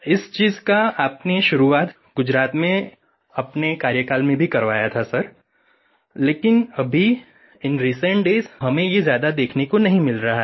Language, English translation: Hindi, You had started this practice while you were in office in Gujarat, Sir, but in the recent days we have not been seeing much of this